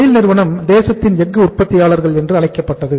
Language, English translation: Tamil, SAIL was called as the steelmaker to the nation